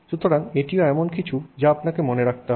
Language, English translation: Bengali, So, that is also something that you have to keep in mind